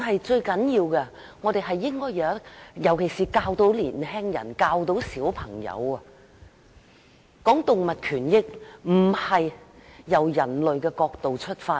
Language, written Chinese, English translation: Cantonese, 最重要的是，我們應該教導小朋友、年輕人有關動物權益，不應從人類的角度出發。, Most importantly we should educate children and young people on animal rights telling them that one should not consider the issue from the perspective of human beings